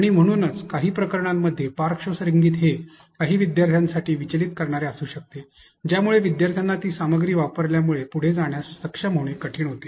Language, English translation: Marathi, And therefore, in some cases, a some background music may be distracting for some learners, where learners get it difficult to be able to move on as they use that content itself